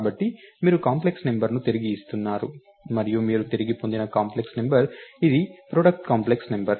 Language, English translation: Telugu, So, you are returning a complex number and when you return on this side the products complex number